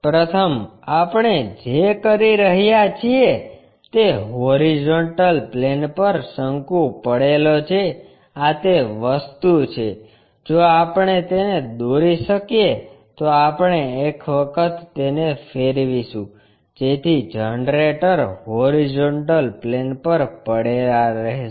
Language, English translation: Gujarati, First, what we are doing is a cone resting on horizontal plane this is the thing if we can construct it then we will make a rotation, so that generator will be lying on the horizontal plane